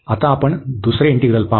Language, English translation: Marathi, Now, we will look at the second integral